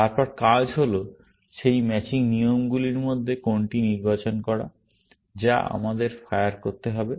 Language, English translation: Bengali, Then, the task is to select which of those matching rules, we have to fire